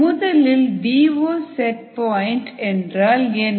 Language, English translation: Tamil, let us see ah, what the d o set point is